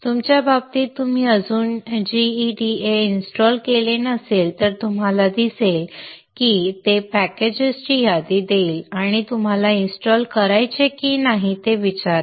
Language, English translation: Marathi, In your case, if you have not at installed GEDA, you will see that it will give a list of packages and ask you whether to install or not you say yes and it will get installed